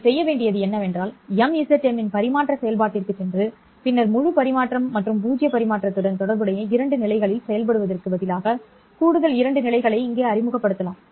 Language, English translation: Tamil, All you have to do is go to the transfer function of the mzm and then instead of operating at two levels which was corresponding to full transmission and zero transmission, you can introduce additional two levels here